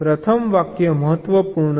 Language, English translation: Gujarati, ok, the first sentence is important